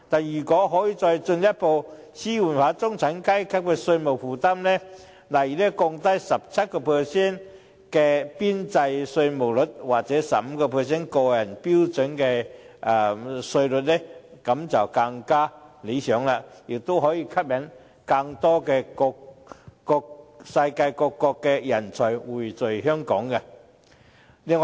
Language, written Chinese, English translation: Cantonese, 如果可以再進一步紓緩中產階級的稅務負擔，例如降低 17% 的邊際稅率或 15% 個人標準稅率便更理想，也可以吸引世界各國更多人才匯聚香港。, It would be even more desirable if the tax burden of the middle class can be further alleviated by say lowering the marginal tax rate of 17 % or the standard rate of 15 % for personal tax . More talent may be attracted from around the world to come to Hong Kong as well